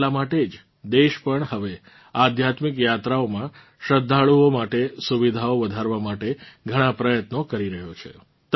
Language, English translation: Gujarati, That is why the country, too, is now making many efforts to increase the facilities for the devotees in their spiritual journeys